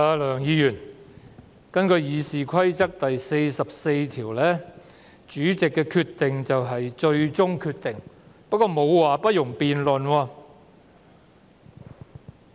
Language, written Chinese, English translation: Cantonese, 梁議員，根據《議事規則》第44條，主席所作決定為最終決定，但《議事規則》沒有說不容辯論。, Mr LEUNG pursuant to Rule 44 of the Rules of Procedure RoP the Presidents decision shall be final but there is no mention in RoP that no debate may arise on it